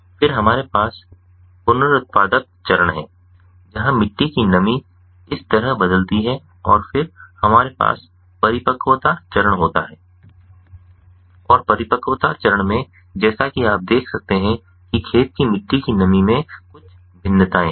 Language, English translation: Hindi, then we have the reproductive phase, where the soil moisture varies like this, and then we have the maturity phase and in the maturity phase, as you can see that there are some variations in the soil moisture ah of the field